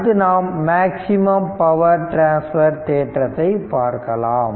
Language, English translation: Tamil, Next one is the maximum power transfer right that is maximum power transfer theorem